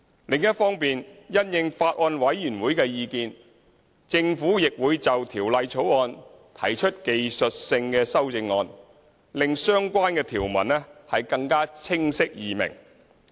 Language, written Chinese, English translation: Cantonese, 另一方面，因應法案委員會的意見，政府亦會就《條例草案》提出技術性修正案，令相關條文更加清晰易明。, Meanwhile in response to the views of the Bills Committee the Government will also propose technical amendments to enhance clarity of the provisions